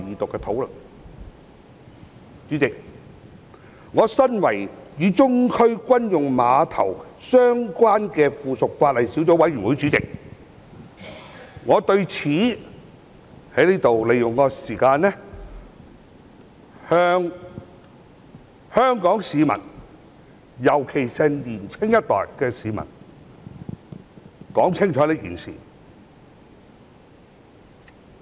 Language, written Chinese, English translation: Cantonese, 主席，我身為與中區軍用碼頭相關的附屬法例小組委員會主席，我想藉此機會向香港市民，尤其是年青一代的市民說清楚這件事。, President being Chairman of the Subcommittee on Subsidiary Legislation Relating to the Central Military Dock I would like to take this opportunity to give a clear explanation on this issue to the people of Hong Kong especially the younger generation